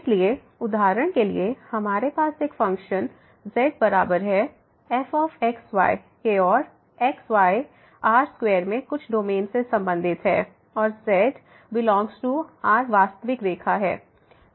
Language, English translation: Hindi, So, for example, we have a function z is equal to and belongs to some domain in square and belong to the real line